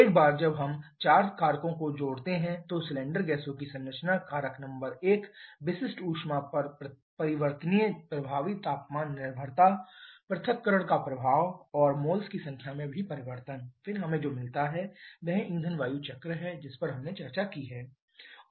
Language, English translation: Hindi, , the composition of cylinder gases factor number one, the variable effective temperature dependence on specific heat, the effect of dissociation and also the change in a number of moles, then what we get that is a fuel air cycle which we have also discussed